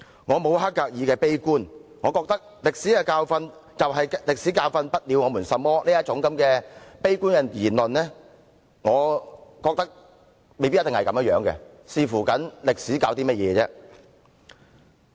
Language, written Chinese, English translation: Cantonese, 我沒有黑格爾的悲觀，我認為"歷史的教訓就是歷史教訓不了我們甚麼"這種悲觀言論未必正確，只是視乎歷史教授的是甚麼而已。, I am not as pessimistic as HEGEL . I think the gloomy view that We learn from history that we do not learn from history may not be right; what we learn from history depends on what history teaches us